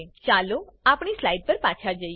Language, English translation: Gujarati, Let us switch back to our slides